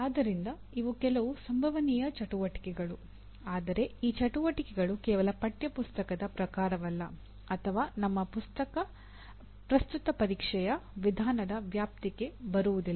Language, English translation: Kannada, So these are some possible activities but these activities are not merely textbook type nor just come into the purview of a what do you call our present method of examination